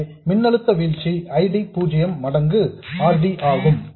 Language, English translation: Tamil, So, the voltage drop across this is ID 0 times RD